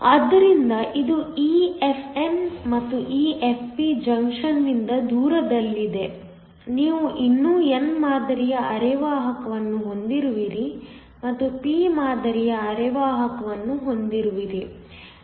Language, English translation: Kannada, So, this is EFn this is EFp far away from the junction you still have an n type semiconductor and you still have a p type semiconductor